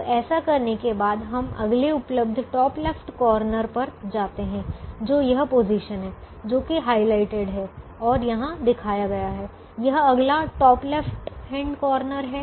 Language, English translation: Hindi, having does this, we now move to the next available top left hand corner, which is this position, which is the position that is highlighted and shown here